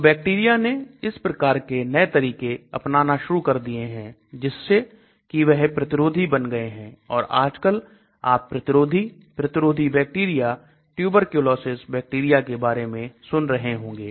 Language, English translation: Hindi, So the bacteria started developing these type of new tricks thereby they become resistant and nowadays you must have been hearing about resistant bacteria, resistance, tuberculosis bacteria and so on